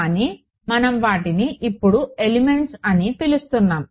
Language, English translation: Telugu, So, but we are calling them elements now ok